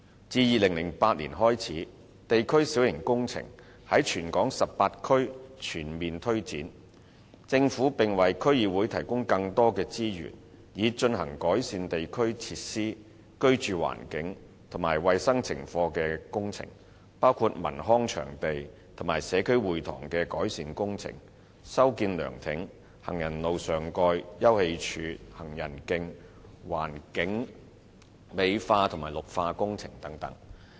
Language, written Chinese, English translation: Cantonese, 自2008年開始，地區小型工程在全港18區全面推展，政府向區議會提供更多資源，以進行改善地區設施、居住環境及衞生情況的工程，包括文康場地及社區會堂的改善工程、修建涼亭、行人路上蓋、休憩處、行人徑、環境美化及綠化工程等。, District minor works have been fully launched in all of the 18 districts across the territory since 2008 . The Government has provided DCs with additional resources to implement works projects to improve district facilities the living environment and hygiene conditions including improvement works of leisure and cultural venues and community halls modification of pavilions walkway covers sitting - out areas and footpaths as well as beautification and greening projects